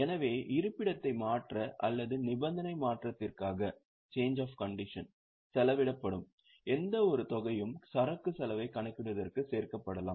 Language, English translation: Tamil, So, any amount which is spent for change of location or change of condition, then that can be added for calculating the cost of inventory